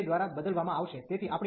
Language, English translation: Gujarati, So, this is replaced by 2